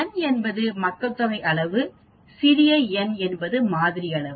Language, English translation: Tamil, Like N is the population size whereas small n is the sample size